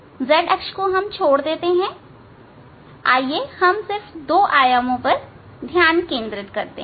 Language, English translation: Hindi, forget z axis x and y let us concentrate or two dimension